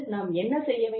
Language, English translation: Tamil, What do we do